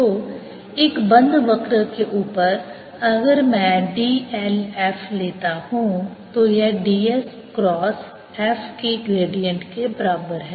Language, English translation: Hindi, so over a closed curve, if i take d l f, it is equal to d s cross gradient of f